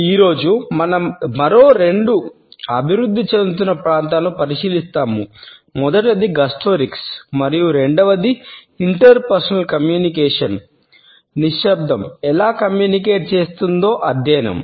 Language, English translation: Telugu, Today, we would look at two other emerging areas which are known as Gustorics and secondly, the study of how Silence communicates in interpersonal communication